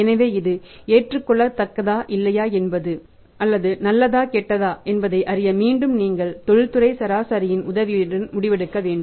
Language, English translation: Tamil, So, whether it is acceptable not acceptable good or bad again you have to take the decision with the help of industry average